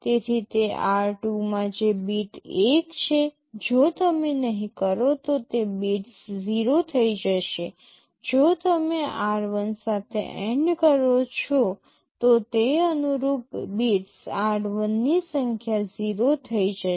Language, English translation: Gujarati, So, that in r2 whichever bit is 1, if you do NOT those bits will become 0; if you do AND with r1 those corresponding bits of r1 will become 0